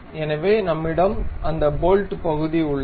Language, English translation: Tamil, So, we have that bolt portion